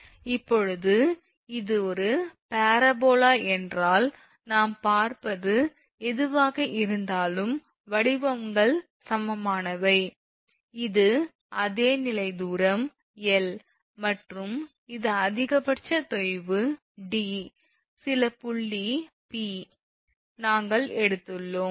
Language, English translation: Tamil, So, equal y your shapes are this is the same level distance is L and this is the maximum sag d some point P we have taken